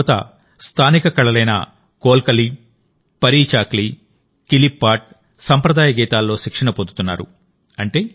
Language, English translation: Telugu, Here the youth are trained in the local art Kolkali, Parichakli, Kilipaat and traditional songs